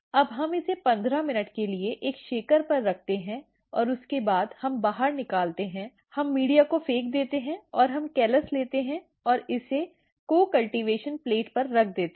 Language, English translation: Hindi, Now, we keep this for 15 minutes on a shaker and after that, we take out we throw the media, and we take the callus and put it on a co cultivation plate